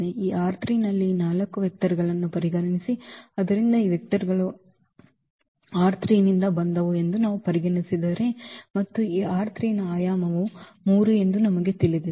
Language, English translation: Kannada, Consider this 4 vectors in this R 3; so, if we consider these 4 vectors are from R 3 and we know the dimension of R 3 is 3